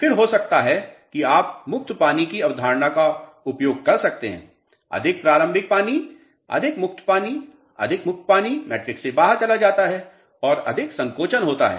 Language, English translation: Hindi, Again, may be you can use the concept of free water more initial water, more free water, more free water goes out of the matrix more shrinkage takes place